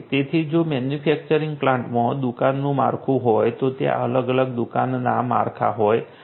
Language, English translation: Gujarati, So, if the manufacturing plant has a shop floor, different shop floors are there